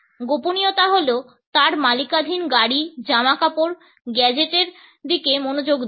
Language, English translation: Bengali, The secret is paying attention to the cars, clothes and gadgets that he owns